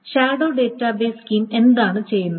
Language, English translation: Malayalam, So this is the shadow database scheme